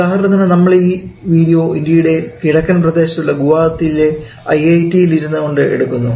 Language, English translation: Malayalam, Like, we are recording this video sitting at IIT Guwahati which is at the Eastern side of India